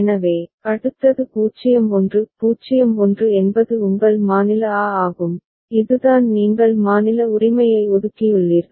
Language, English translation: Tamil, So, next is 0 1; 0 1 is your state b that is the way you have assigned state right